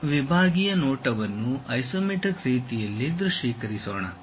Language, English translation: Kannada, Let us visualize cut sectional view in the isometric way